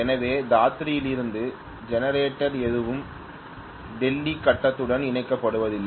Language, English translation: Tamil, So none of the generator from Dadri is being connected to the Delhi gird